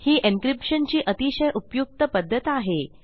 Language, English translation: Marathi, It is a very useful way of encrypting data